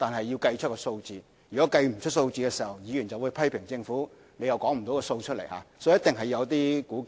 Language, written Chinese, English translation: Cantonese, 要計算出數字很重要，如果沒有數字，議員就會批評政府拿不出數字來，所以一定要作一些估計。, It is important to arrive at some estimated figures without which Members will criticize the Government for not providing any statistics . Hence we must arrive at some estimated figures